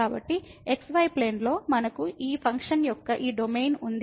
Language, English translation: Telugu, So, in the plane, we have this domain of this function